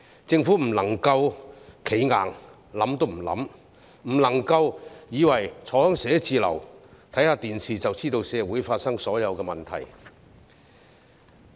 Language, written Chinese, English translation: Cantonese, 政府不能夠"企硬"，完全不加以考慮，亦不能夠以為坐在辦公室內收看電視，便可清楚社會上發生的所有問題。, The Government should not be so rigid as not to give any consideration to this at all . Nor should it believe that it can clearly grasp all problems of our society by simply sitting in the office and watching television